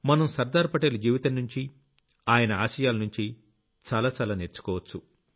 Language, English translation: Telugu, We can learn a lot from the life and thoughts of Sardar Patel